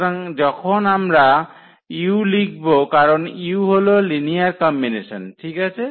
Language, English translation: Bengali, So, when we write down this u because u is a linear combination well correct